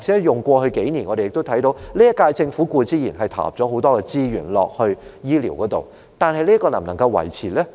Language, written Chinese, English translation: Cantonese, 以過去數年來說，我們看到今屆政府固然對醫療投入很多資源，但這方面究竟能否繼續維持？, Over the past few years we noticed that the incumbent Government has certainly put in a lot of resources in healthcare but can this be sustainable?